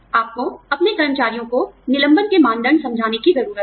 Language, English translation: Hindi, You need to explain, the criteria for layoffs, to your employees